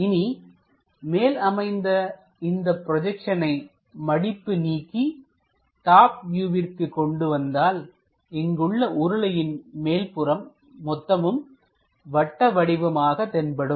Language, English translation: Tamil, Now if you are looking the projection onto the top one unfolding it it comes as top view there this entire circle comes out like a circle there